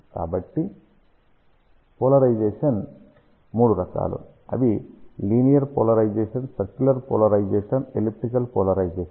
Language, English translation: Telugu, So, there are three different types of polarization, linear polarization, circular polarization, elliptical polarization